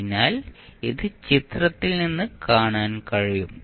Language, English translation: Malayalam, So, this you can see from the figure